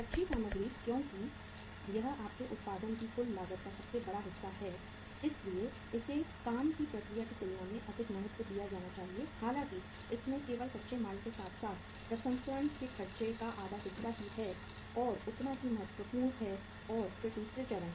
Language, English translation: Hindi, Raw material uh because it constitutes the largest part of your total cost of production so it should be say assigned more importance than work in process uh say only constitutes the raw material as well as half of the processing expenses so comparatively the same importance and then to the other stages